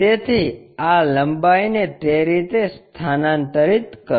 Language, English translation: Gujarati, So, transfer this length in that way